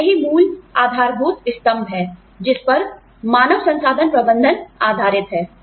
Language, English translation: Hindi, And, that is the basic fundamental pillar, that human resources management, rests on